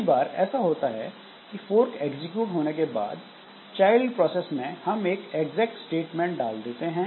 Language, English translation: Hindi, Many a time what happens is that after executing this fork this child in the child process we put an exact statement